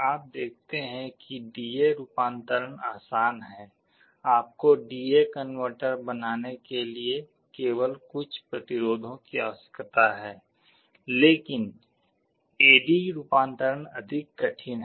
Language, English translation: Hindi, You see D/A conversion is easy, you only need some resistances to make a D/A converter, but A/D conversion is more difficult